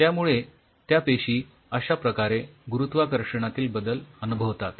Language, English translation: Marathi, So, the cells experience changes in the gravity like this